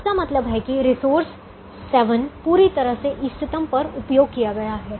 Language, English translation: Hindi, it means the resource seven is fully utilized at the optimum